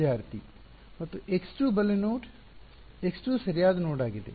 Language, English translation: Kannada, And x 2 left x 2 a right node x2 is the right node